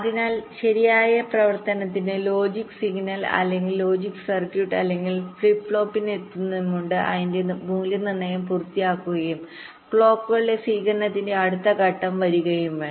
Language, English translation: Malayalam, so for correct operation, the logic signal or logic circuitry or must complete it evaluations before ah, it reaches the flip flop and next stage of receive clocks comes